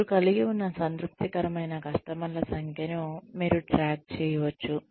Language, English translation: Telugu, You could keep a track, of the number of satisfied customers, you had